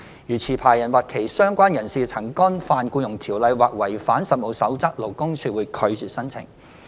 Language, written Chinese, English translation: Cantonese, 如持牌人或其相關人士曾干犯《僱傭條例》或違反《實務守則》，勞工處會拒絕申請。, If it is found that the licensee or hisher associate has committed an offence under EO or breached CoP LD would refuse the application